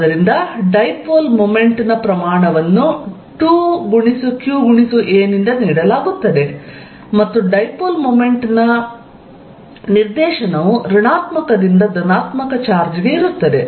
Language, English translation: Kannada, So, that the magnitude of dipole moment is given by 2qa, and the direction of dipole moment is from negative to positive charge